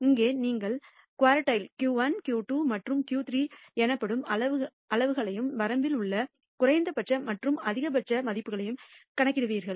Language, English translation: Tamil, Here you will compute quantities called quartiles Q 1, Q 2 and Q 3 and the minimum and maximum values in the range